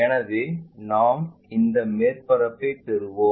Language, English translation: Tamil, So, we will have this surface